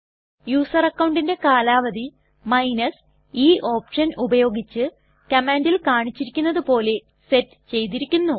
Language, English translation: Malayalam, The user account expiry date is set as mentioned in the command here with the help of the option e